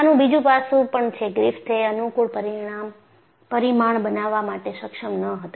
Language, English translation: Gujarati, And, there is also another aspect; see Griffith was not able to coin in a convenient parameter